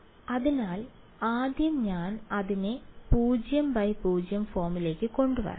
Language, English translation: Malayalam, So, first I have to get it into a 0 by 0 form right